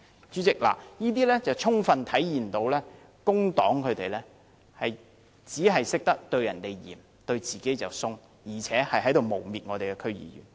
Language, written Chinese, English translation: Cantonese, 主席，這充分體現工黨只懂對別人嚴厲，對自己卻寬鬆，更誣衊了我們的區議員。, President this fully demonstrates that the Civic Party will only be harsh to others but lenient to itself . It has even smeared our DC members